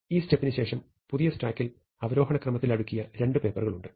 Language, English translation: Malayalam, So, after this step, you have two stacks of papers in descending order